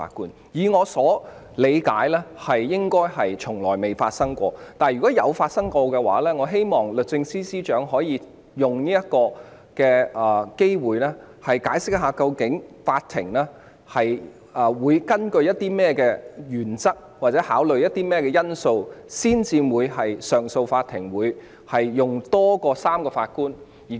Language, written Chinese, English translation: Cantonese, 按我理解，這種情況應該從未發生，但如果確曾發生，我希望律政司司長可以藉此機會，解釋上訴法庭是基於甚麼原則或考慮甚麼因素須由多於3名法官組成。, As far as I understand it this situation has never happened . But if it has I hope that the Secretary for Justice will seize this opportunity to explain the principles or considerations involved whereby CA consists of more than three JAs